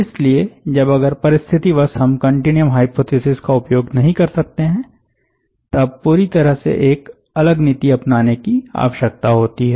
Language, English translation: Hindi, so if there are situations where, when you cannot use continuum hypothesis and one needs to have a different treatment all together